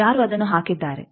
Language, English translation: Kannada, Who has put that